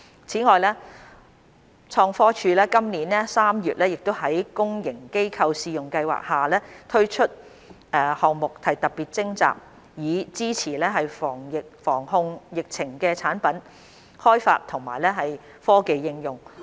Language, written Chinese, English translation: Cantonese, 此外，創科署今年3月在公營機構試用計劃下推出項目特別徵集，以支持防控疫情的產品開發和科技應用。, Besides ITC launched a special call for projects under the Public Sector Trial Scheme in March this year to support product development and application of technologies for the prevention and control of the epidemic